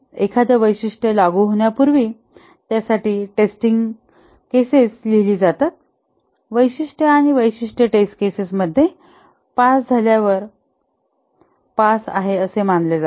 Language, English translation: Marathi, Before a feature is implemented, the test cases are written for that feature and the feature is considered passed when it passes the test cases